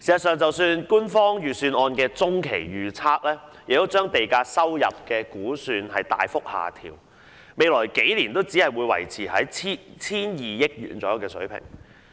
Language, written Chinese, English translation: Cantonese, 事實上，官方預算案的中期預測亦把地價收入估算大幅下調，未來數年只會維持在約 1,200 億元的水平。, In fact the medium range forecast of the Governments Budget has also significantly lowered the land sale revenue estimate which will only maintain at a level of about 120 billion in the next few years